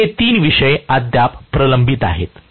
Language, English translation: Marathi, So, these are the 3 topics that are still pending